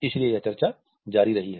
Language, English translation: Hindi, So, this debate has continued